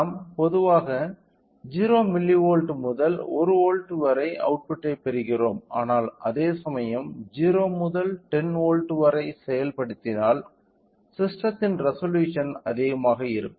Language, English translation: Tamil, So, we are getting an output from generally we get an output of 0 milli volt to 1 volt, but whereas, if we can implement from 0 to 10 volts then the resolution of the system will be higher